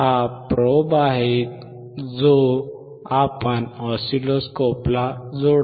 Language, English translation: Marathi, This is the probe that we connect to the oscilloscope